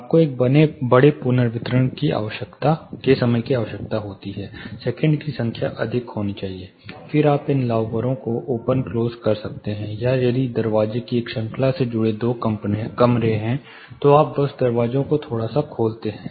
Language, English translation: Hindi, You need a larger reverberation time, the seconds the number of seconds have to be higher, then you can play around open close these louvers or say if there are two rooms connected by a series of doors, you just open up the doors little bit